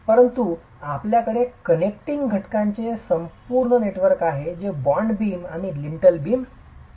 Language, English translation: Marathi, But you also have an entire network of connecting elements which are the bond beams and the lintel beams